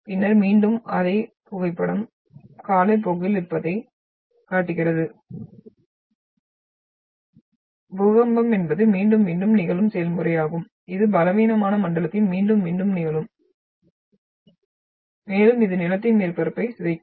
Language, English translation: Tamil, Then again, the same photograph which shows the that over the time then there is an because earthquake is a repeated process which will keep reccurring again and again along the weak zone and it will keep deforming the this the land surface